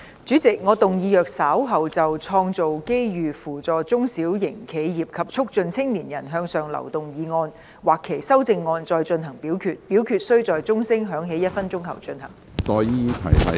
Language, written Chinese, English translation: Cantonese, 主席，我動議若稍後就"創造機遇扶助中小型企業及促進青年人向上流動"所提出的議案或修正案再進行點名表決，表決須在鐘聲響起1分鐘後進行。, President I move that in the event of further divisions being claimed in respect of the motion on Creating opportunities to assist small and medium enterprises and promoting upward mobility of young people or any amendments thereto this Council do proceed to each of such divisions immediately after the division bell has been rung for one minute